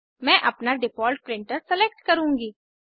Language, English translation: Hindi, I will select my default printer